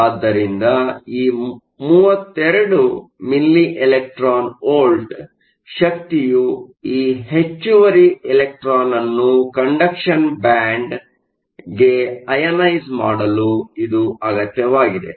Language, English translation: Kannada, So, this energy 32 milli electron volts is the energy that is required in order to ionize that extra electron to the conduction band